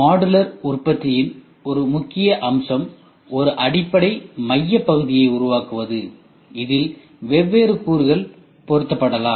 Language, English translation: Tamil, An important aspect of modular product is the creation of a basic core unit to which different elements can be fitted